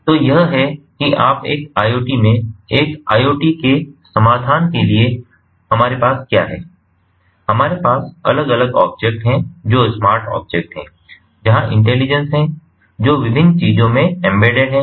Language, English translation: Hindi, so it is, you know, in an iot, in an iot solution, we, what we have, are different objects, which are smart objects, where there is intelligence, that are embedded in the different things